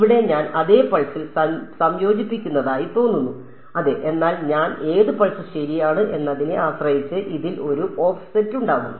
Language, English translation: Malayalam, So, over here it looks like I am integrating over the same pulse yeah, but there will be an offset in this depending on which pulse I am in irght